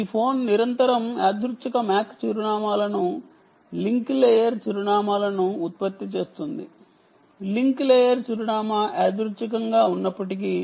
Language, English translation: Telugu, that is this: this phone continuously generates random ah mac addresses, link layer addresses, although the link layer address is random